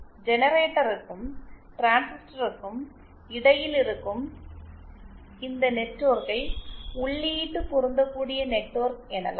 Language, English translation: Tamil, And this network which is there between the generator and the transistor is called the input matching network